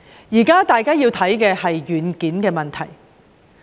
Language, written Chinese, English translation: Cantonese, 現時，大家要檢視的是軟件問題。, Now what we need to look into is the problem with our software